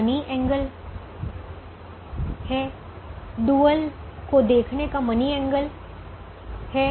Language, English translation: Hindi, is there an economic angle, is there a money angle, a monetary angle to looking at the dual